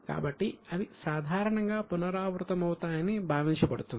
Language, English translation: Telugu, So, it is assumed that they are going to be recurring in nature